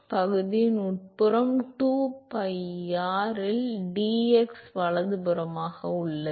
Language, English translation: Tamil, So, the inside the area is 2pi r into dx right